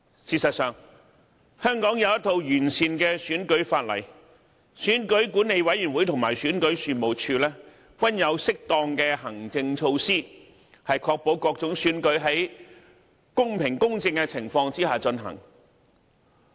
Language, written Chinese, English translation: Cantonese, 事實上，香港有一套完善的選舉法例，選舉管理委員會和選舉事務處均有適當的行政措施，確保各種選舉在公平公正的情況下進行。, In fact Hong Kong has a comprehensive electoral legislation . Both the Electoral Affairs Commission and the Registration and Electoral Office have appropriate administrative measures to ensure that various elections will be conducted under fair and equitable conditions